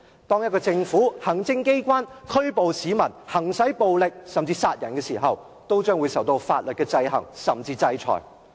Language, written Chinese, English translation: Cantonese, 當行政機關無理拘捕市民、行使暴力，甚至殺人，都將會受法律的制衡或制裁。, If the Executive Authorities arrest people arbitrarily exercise violence or even kill someone they will face legal sanctions